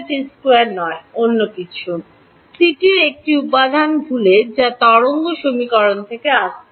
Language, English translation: Bengali, Not delta t squared something else, forgetting a factor of c that is coming from the wave equation